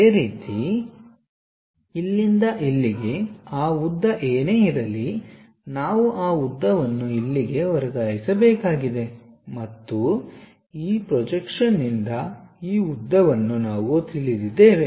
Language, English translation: Kannada, Similarly, from here to here whatever that length is there, we have to transfer that length here and from this projection we know this length